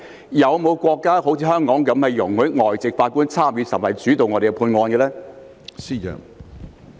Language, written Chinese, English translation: Cantonese, 是否有國家好像香港般容許外籍法官參與審判甚至主導審判案件呢？, Is there any country like Hong Kong that allows foreign judges to sit or even preside over a case?